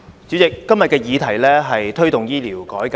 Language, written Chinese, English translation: Cantonese, 主席，今天的議題是"推動醫療改革"。, President todays subject is Promoting healthcare reform